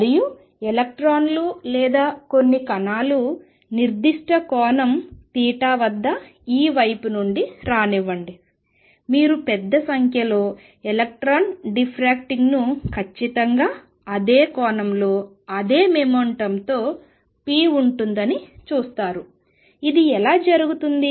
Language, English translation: Telugu, And let electrons or some particles come from this side at particular angle theta you see a large number of electron diffracting at exactly, the same angle with the same momentum p, how does this happen